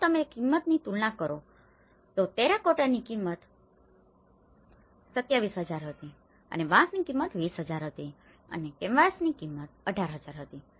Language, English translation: Gujarati, So, if you compare the cost the terracotta was 27,000 and this one was bamboo was 20,000 and the canvas was about 18,000